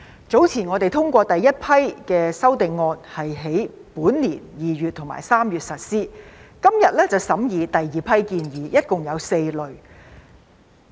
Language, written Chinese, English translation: Cantonese, 早前我們通過第一批修正案，並於本年2月及3月實施，今天則審議第二批建議，一共有4類。, Earlier on we endorsed the first batch of amendments which were implemented in February and March this year and today we are going to consider the second batch of proposals consisting of four groups in total